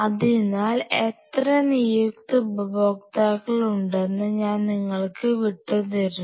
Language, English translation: Malayalam, So, I will leave it up to the user how many designated users